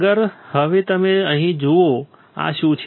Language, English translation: Gujarati, Next is now you see here what this is